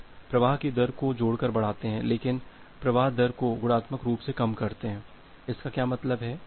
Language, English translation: Hindi, So, you increase the flow rate additively, but drop the flow rate multiplicatively what is mean by that